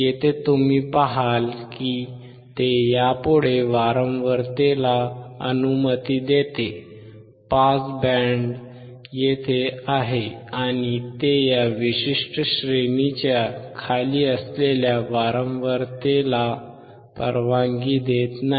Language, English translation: Marathi, Here you will see that, it allows the frequency from this onwards, the pass band is here and it does not allow the frequency below this particular range